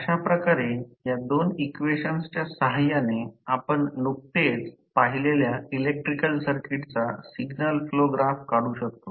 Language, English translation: Marathi, So, in this way with the help of these two equations, we can draw the signal flow graph of the electrical circuit which we just saw